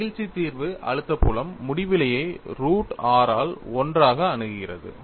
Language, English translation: Tamil, The elasticity solution gives the stress field approach as infinity, as 1 by root r, right